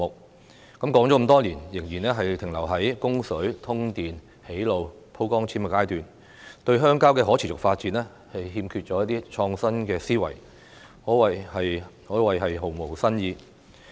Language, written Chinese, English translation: Cantonese, 說了這麼多年，仍然停留在供水、通電、建路、鋪光纖的階段，對鄉郊的可持續發展欠缺一些創新思維，可謂毫無新意。, After years of discussion the development of rural areas is still at the stage of water supply power connection road construction and connection of optical fibres . There are no innovative new ideas on the sustainable development of the rural areas